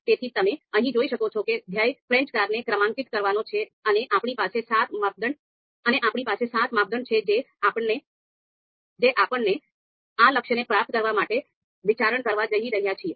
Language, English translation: Gujarati, So you can see here goal is ranking of French cars and criteria, we have seven criteria that we are going to consider to you know achieve this goal